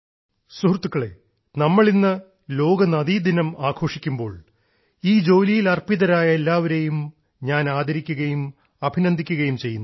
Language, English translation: Malayalam, when we are celebrating 'World River Day' today, I praise and greet all dedicated to this work